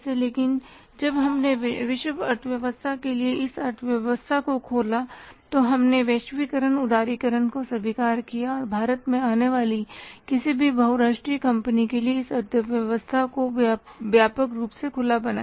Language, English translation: Hindi, But when we opened up this economy for the world conglomerates, we accepted the globalization liberalization and this economy was made wide open for any multinational company coming to India